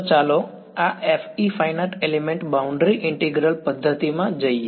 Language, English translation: Gujarati, So, let us get into this FE Finite Element Boundary Integral method ok